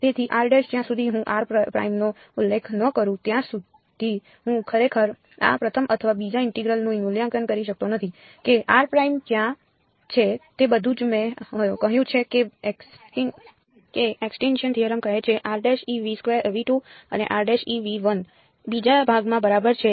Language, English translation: Gujarati, So, r prime unless I specify r prime I cannot actually evaluate this first or second integral was where is r prime all I have said is all that extinction theorem says is r prime must belong to V 2 and r prime must belong to V 1 in the second part right